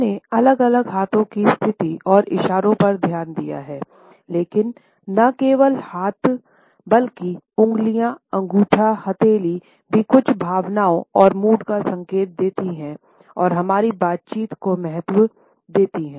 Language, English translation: Hindi, We have looked at different hand positions and gestures, but we find that it is not only the hands, but also the fingers independently as well as our thumb, even palm are indicative of certain emotions and moods and have a significance in our interactions